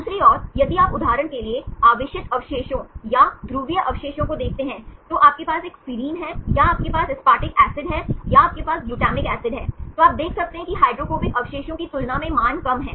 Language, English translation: Hindi, On the other hand, if you look into the charged residues or polar residues for example, you have a serine or you have aspartic acid or you have the glutamic acid, you can see that the values are less, compared to the hydrophobic residues